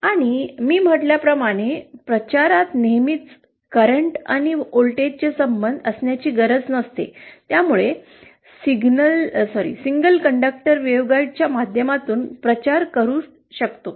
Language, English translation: Marathi, And the other as I said, since propagation need not always have a current and voltage relationship, so we can also have propagation through single conductor waveguides